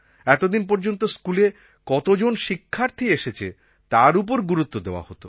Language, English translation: Bengali, Till now the stress has been on how many are attending school